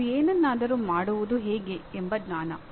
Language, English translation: Kannada, Is the knowledge of how to do something